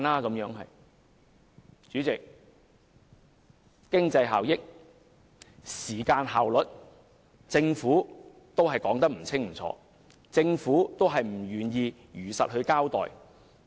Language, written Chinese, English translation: Cantonese, 代理主席，關於經濟效益及時間效率，政府仍說得不清不楚，仍不願意如實交代。, Deputy President on economic benefits and time efficiency the Government has remained ambiguous refusing to give a truthful account